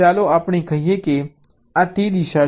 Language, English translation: Gujarati, lets say this is the direction